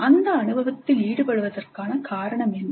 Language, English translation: Tamil, What is the reason for engaging in that experience